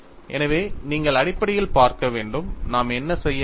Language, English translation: Tamil, So, you have to look at fundamentally, what is it that we have to do